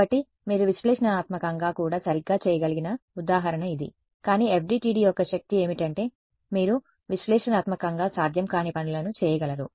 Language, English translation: Telugu, So, this is the example which you could have done analytically also right, but the power of the FDTD is that you can do things which are analytically not possible